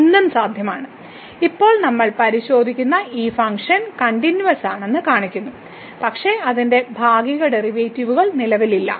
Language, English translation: Malayalam, So, anything is possible and we will see now in this example which shows that this function we will check now is continuous, but its partial derivatives do not exist